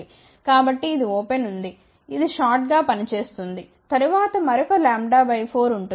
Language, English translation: Telugu, So, this is open this will act as a short, then there is another lambda by 4